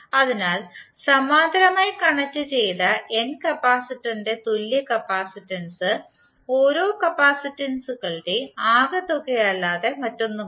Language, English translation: Malayalam, So what you can say, equivalent capacitance of n parallel connected capacitor is nothing but the sum of the individual capacitances